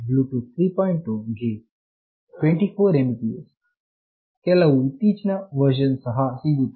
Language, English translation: Kannada, 0, it is 24 Mbps, there are some recent version also